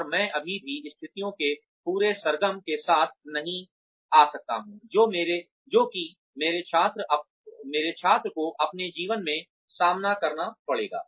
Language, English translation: Hindi, And, I can still not come up with, the entire gamut of situations, that my student will face in her life